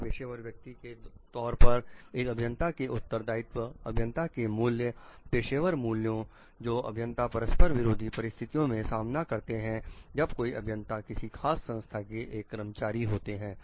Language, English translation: Hindi, The responsibilities of engineers as a professional person, the values of the engineers the professional values what are the conflicting situations the engineer may face as when like the engineer is an employee of a particular organization